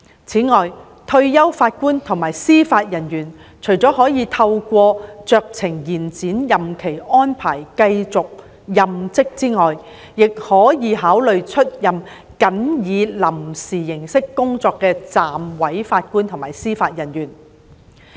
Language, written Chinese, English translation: Cantonese, 此外，退休法官及司法人員除可透過酌情延展任期安排繼續任職外，亦可考慮出任僅以臨時形式工作的暫委法官及司法人員。, Furthermore apart from continuing their services through discretionary extension arrangements retired JJOs may also consider serving as deputy JJOs who only work on a temporary basis